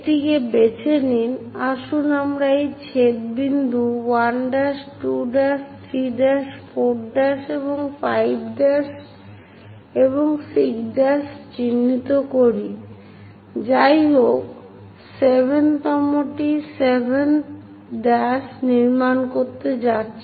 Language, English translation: Bengali, Pick this one, let us mark these intersection points 1 prime, 2 prime, 3 prime, 4 prime and 5 prime and 6 prime, anyway 7th one is going to construct 7 prime